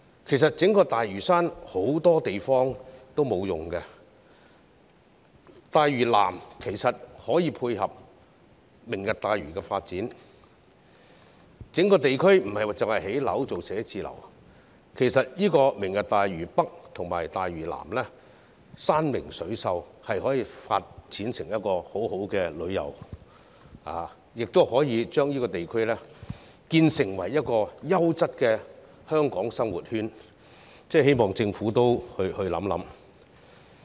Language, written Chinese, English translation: Cantonese, 其實，整個大嶼山很多地方也沒有使用，大嶼南可以配合"明日大嶼"的發展，整個地方不只可用作建屋、建寫字樓，大嶼北和大嶼南山明水秀，可以發展成一個很好的旅遊地區，打造成一個優質的香港生活圈，我希望政府加以考慮。, South Lantau can support the development of the Lantau Tomorrow project . Not only can the entire area be used for building homes and offices but the beautiful landscape of North Lantau and South Lantau can also facilitate the development of a popular tourist destination and a quality living circle in Hong Kong . I hope that the Government will give consideration to this